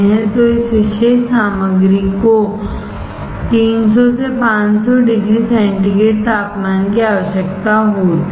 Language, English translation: Hindi, So, this particular material requires a temperature of 300 to 500 degree centigrade